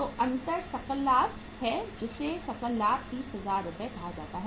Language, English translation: Hindi, So the difference is the gross profit that is called as gross profit 30,000 Rs